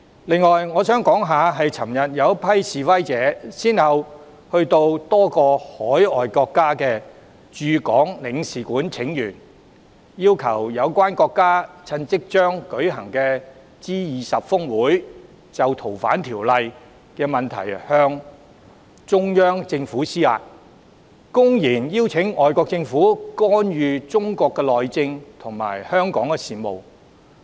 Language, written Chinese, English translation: Cantonese, 此外，昨天有一群示威者先後到多個外國駐港領事館請願，要求有關國家趁即將舉行的 G20 峰會，就修訂《逃犯條例》的問題向中央政府施壓，公然邀請外國政府干預中國內政及香港事務。, Meanwhile a group of protesters presented their petitions to various foreign consulates in Hong Kong yesterday calling on the relevant countries to pressurize China over the issue of the FOO amendment in the upcoming G20 Osaka Summit in blatant invitation for foreign governments to meddle with the internal affairs of China and the affairs of Hong Kong